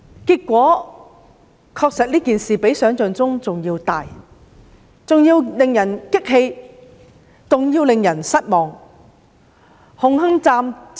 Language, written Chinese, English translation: Cantonese, 結果，這事件確實較想象中更嚴重、更令人生氣、更令人失望。, Eventually the incident indeed turned out to be more serious more infuriating and more disappointing than we had imagined